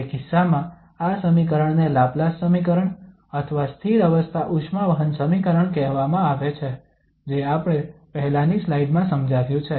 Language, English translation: Gujarati, In that case, this equation is called the Laplace equation or steady state heat equation which we have just explained in previous slide